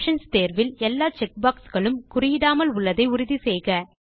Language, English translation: Tamil, Ensure that all the check boxes in the Options tab are unchecked